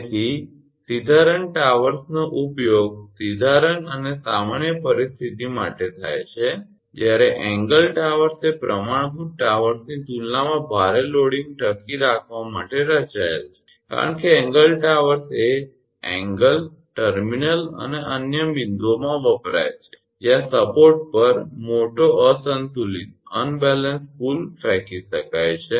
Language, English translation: Gujarati, So, the straight run towers are used for straight runs and normal conditions whereas, the angle towers are designed to withstand heavy loading as compared to the standard towers because angle towers are used in angles, terminals and other points where a large unbalanced pull may be thrown on the support